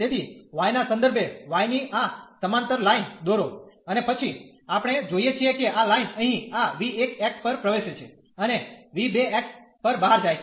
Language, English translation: Gujarati, So, of with respect to y draw a line this parallel to y and then we see that this line here enters at this v 1 x and go out at v 2 x